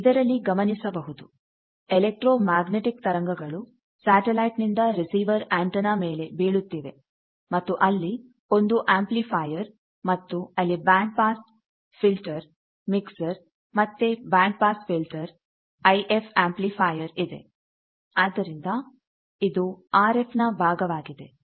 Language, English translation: Kannada, So, you see that there is an electromagnetic wave coming from the satellite falling on the receiving antenna, then there is some amplifier, etcetera, then there is some band pass filter mixer again a band pass filter fast IF amplifier